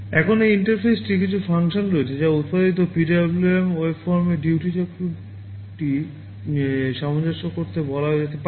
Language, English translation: Bengali, Now, this interface has some functions that can be called to adjust the duty cycle of the PWM waveform that has been generated